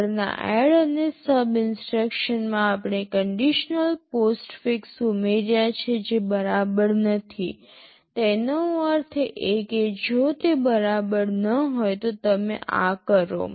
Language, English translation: Gujarati, In the next ADD and SUB instructions we have added the conditional postfix not equal to; that means, if not equal to then you do these